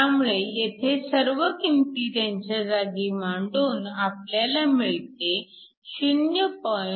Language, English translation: Marathi, So, we can substitute all the values and this gives you a value 0